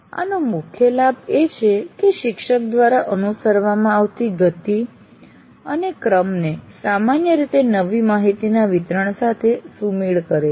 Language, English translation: Gujarati, The major advantage of this is the pace and the sequence followed by the teacher generally syncs with the delivery of new information